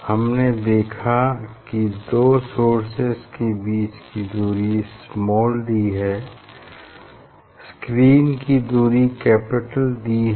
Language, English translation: Hindi, These two source we are getting the distance small d, we are putting screen at capital D